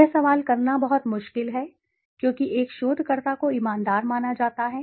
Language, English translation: Hindi, It is very difficult to question because a researcher is assumed to be honest